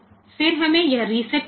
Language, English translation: Hindi, Then we have got this reset